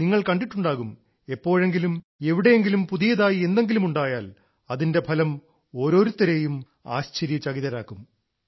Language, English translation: Malayalam, And you must have seen whenever something new happens anywhere, its result surprises everyone